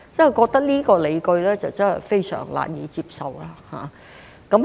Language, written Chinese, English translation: Cantonese, 我覺得這個理據真是非常難以接受。, I find this argument too hard to swallow